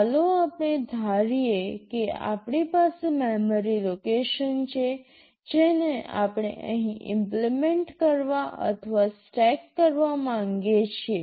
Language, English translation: Gujarati, Let us assume that we have a memory location we want to implement or stack here